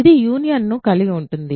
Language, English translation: Telugu, It contains the union right